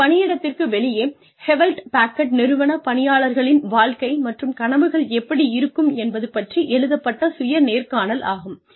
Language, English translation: Tamil, It is a written self interview, regarding the life and dreams of, the employees of Hewlett Packard, regarding their life and dreams, outside of the workplace